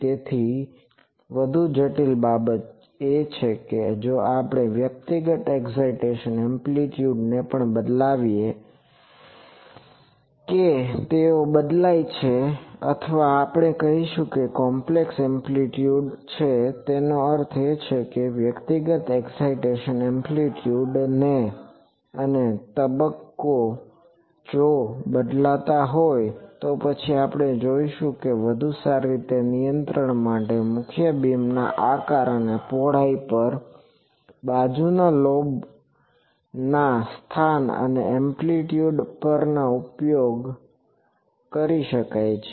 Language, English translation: Gujarati, So, that is why the a more complicated thing is if we also change the individual excitation amplitudes they are varied or we will say that complex amplitude; that means, the individual excitation amplitude and phase if that is varied, then we have we will see that for better control can be exercised on the shape and width of the main beam and on the location and amplitudes of the side lobe